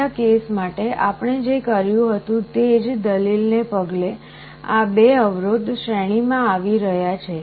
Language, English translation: Gujarati, Following the same argument what we did for the previous case, these 2 resistances are coming in series